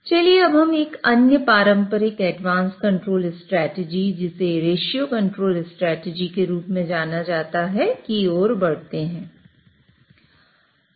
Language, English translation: Hindi, Let us now move to another traditional advanced control strategy known as a ratio control strategy